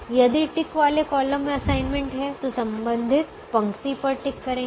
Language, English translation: Hindi, if a ticked column has an assignment, then tick the corresponding row